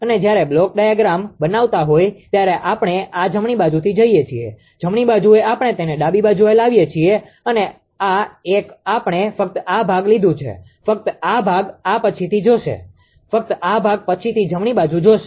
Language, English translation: Gujarati, And when making the block diagram actually we are going from this right, right side we have bring it to left side and this one we have taken to only this portion only this portion only this portion this will see later, this part will see later right only this portion